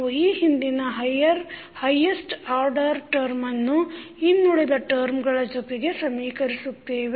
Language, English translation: Kannada, We will equate the highest order term of the last equation to the rest of the terms